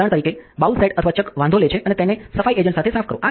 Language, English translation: Gujarati, Take for example, the bowl set or the chuck does matter and clean it probably with the cleaning agent